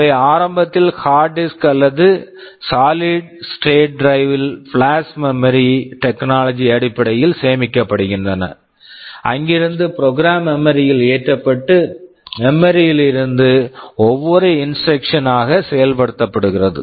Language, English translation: Tamil, They are initially stored either in the hard disk or in solid state drive based on flash memory technology, from there the program gets loaded into memory and from memory the instructions for executed one by one